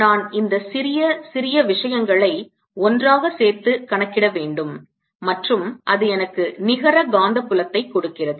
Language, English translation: Tamil, i'll calculate, add all these small small things and add them together and that gives me the [neck/net] net magnetic field